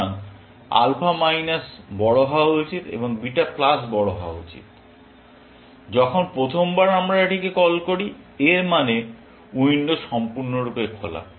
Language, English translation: Bengali, So, alpha should be minus large and beta should be plus large, when the first time we call it; that means, windows completely opened